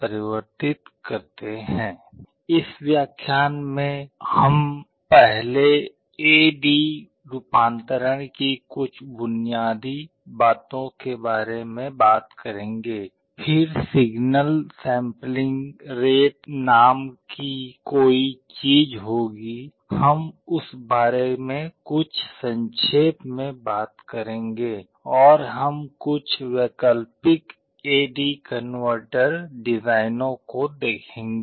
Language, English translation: Hindi, In this lecture we shall first be talking about some of the basics of A/D conversion, then there is something called signal sampling rate, we shall be talking about that very briefly, and we shall be looking at some alternate A/D converter designs